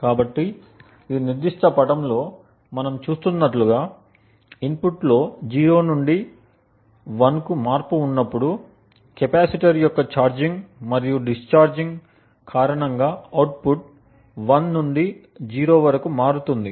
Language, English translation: Telugu, So, as we see from this particular figure when there is a transition in input from 0 to 1, the output changes from 1 to 0 due to the charging and discharging of the capacitor